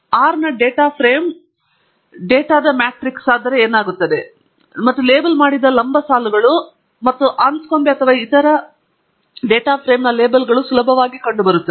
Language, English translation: Kannada, A data frame in R is nothing but a matrix of data, but with the columns labeled, and the labels of Anscombe or any other data frame can be easily found